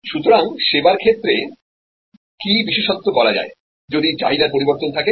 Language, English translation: Bengali, So, what is so special in case of service, if there is demand variation